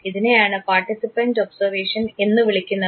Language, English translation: Malayalam, This is called participant observation